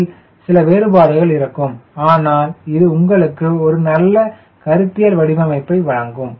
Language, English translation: Tamil, there will be some differences but this will give you a good conceptual configuration